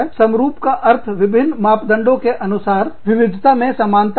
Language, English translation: Hindi, Homogenous means, similar, in various, according to various parameters